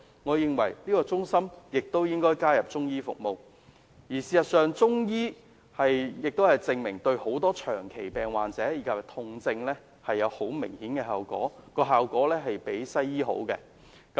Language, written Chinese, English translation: Cantonese, 我認為應該在健康中心加入中醫服務，而事實亦證明中醫對很多長期病患及痛症有很明顯的效果，比西醫更佳。, I consider these health centres should also include Chinese medicine services . Facts have also proved that Chinese medicines can achieve obvious improvements on chronic illness and pain symptoms and the efficacy is even better than Western medicines